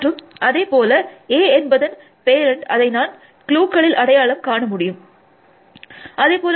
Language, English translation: Tamil, And likewise the parent of A, I will find in the clues and so on